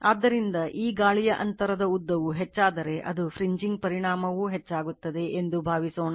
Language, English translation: Kannada, So, I mean if it is the suppose if this air gap length increases, the fringing effect also will increase